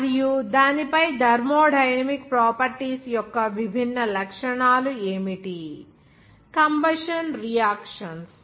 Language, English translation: Telugu, And what should be the different characteristics of the thermodynamic properties on that, combustion reactions